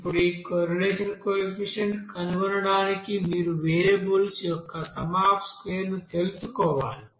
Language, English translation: Telugu, Now to find out this correlation coefficient, you need to you know sum squares of you know variables there